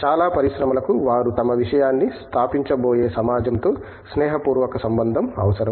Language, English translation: Telugu, Most of the industries require a cordial relationship with the society in which they are going to be establishing their thing